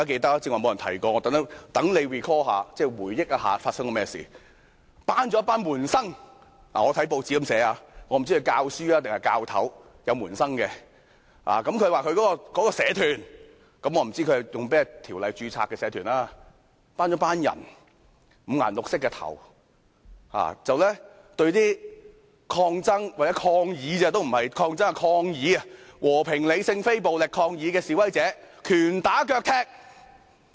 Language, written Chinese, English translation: Cantonese, 我看到報章是這樣寫的：曾先生召集了一些社團的門生——我不知道他是教師還是教頭才會有門生，亦不知道他是在哪項條例之下把組織註冊成為社團——召集了一些頭髮五顏六色的人，對只是和平、理性、非暴力抗議的示威者，拳打腳踢。, This is what I learned from the newspaper Mr TSANG gathered some of his disciples in a society―I do not know what makes him a man with so many disciples and under which ordinance has he registered the organization concerned as a society―to the scene then and these disciples of him who had their hair dyed in all kinds of colours punched and kicked demonstrators protesting in a peaceful rational and non - violent manner there